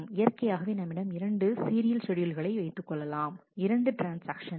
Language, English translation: Tamil, Ideally naturally we can have we will have serial schedules, there are 2 transactions